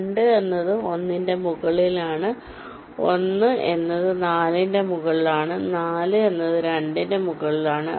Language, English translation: Malayalam, ok, two is in top of one, one is in top of four, four is in top of two